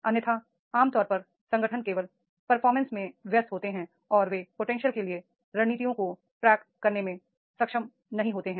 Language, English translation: Hindi, Otherwise normally the organizations are busy in performance only and they are not able to track the strategies for the potential is there